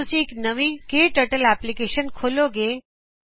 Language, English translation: Punjabi, When you open a new KTurtle application